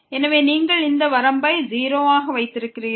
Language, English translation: Tamil, So, you have this limit as 0